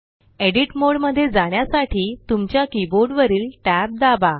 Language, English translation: Marathi, Press tab on your keyboard to enter the Edit mode